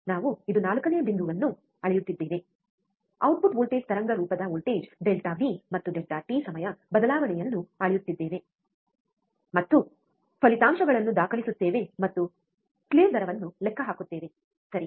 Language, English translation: Kannada, We are measuring the 4th point which is this one, measure the voltage delta V, and time change delta t of output waveform, and record the results and calculate the slew rate, alright